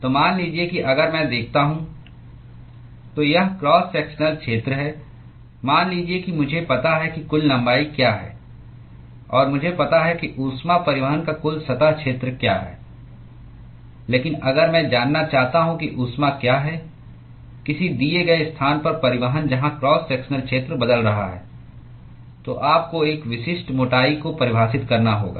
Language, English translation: Hindi, So, supposing if I look at the so this is the cross sectional area supposing if I know what is the total length and I know what is the total surface area of heat transport, but if I want to know what is the heat transport at a given location where the cross sectional area is changing, then you have to define a specific thickness